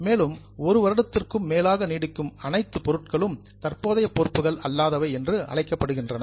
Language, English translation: Tamil, So all those items which are likely to last for more than one year are called as non current